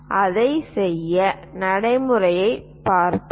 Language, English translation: Tamil, Let us look at the procedure